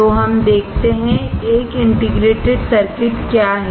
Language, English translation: Hindi, So, let us see; What is an integrated circuit